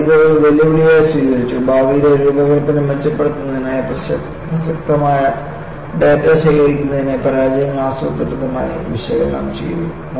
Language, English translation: Malayalam, They took this as a challenge and the failures were systematically analyzed to cull out relevant data; to improve future design